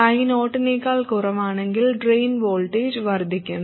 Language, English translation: Malayalam, So, if ID is more than I 0, then the drain voltage VD reduces